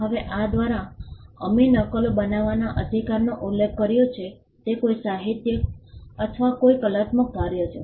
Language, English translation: Gujarati, Now by this we referred the right to make copies if it is a literary or an artistic work